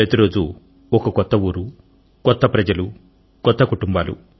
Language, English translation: Telugu, Every day it used to be a new place and people, new families